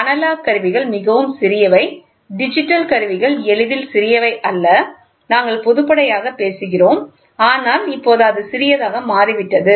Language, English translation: Tamil, The analog instruments are extremely portable, the digital instruments are not easily portable, we are talking about in totality, but it is now also become portable